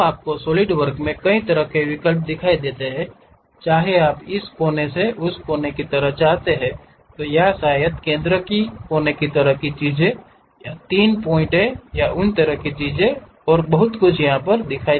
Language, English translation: Hindi, So, your Solidwork shows variety of options whether you want this corner to corner kind of thing or perhaps center corner kind of things or 3 point kind of things and many more